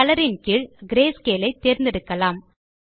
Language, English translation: Tamil, Then under Color, lets select Grayscale